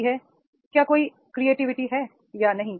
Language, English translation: Hindi, That is the is there any creativity or not